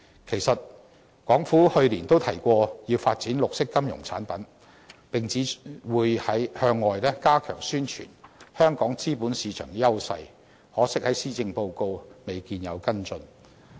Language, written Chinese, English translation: Cantonese, 其實，港府去年都提過要發展綠色金融產品，並指會向外加強宣傳香港資本市場的優勢，可惜在施政報告未見跟進。, Indeed the Hong Kong Government also talked about developing green financial products last year and vowed to step up publicizing to the world Hong Kongs strength in capital markets . It is a shame that these proposals are not followed up in the Policy Address